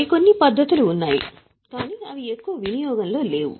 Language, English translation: Telugu, There are some more methods but they don't have much of practical utility